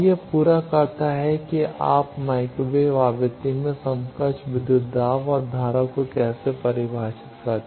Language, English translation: Hindi, And this completes that how you can define the equivalent voltage and current in microwave frequency